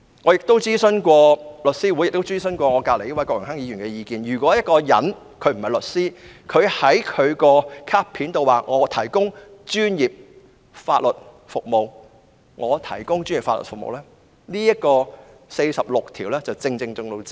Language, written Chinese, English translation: Cantonese, "我曾徵詢香港律師會及身旁的郭榮鏗議員的意見，任何人不是律師而在其卡片上表明可以"提供專業法律服務"，已經觸犯《法律執業者條例》第46條。, I have consulted The Law Society of Hong Kong and Mr Dennis KWOK who is sitting next to me . Any person who is not a solicitor but states on his name card that he can provide professional legal services has violated section 46 of the Legal Practitioners Ordinance